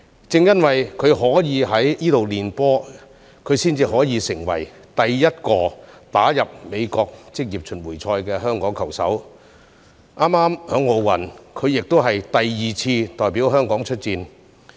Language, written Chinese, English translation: Cantonese, 正因為她可以在該處練習，她才可以成為第一個打入美國職業巡迴賽的香港球手，並在早前第二次代表香港出戰奧運。, Thanks to the presence of this golf course she was able to practise golf and become the first Hong Kong golfer to play on the PGA Tour . Recently she has also represented Hong Kong for the second time at the Olympics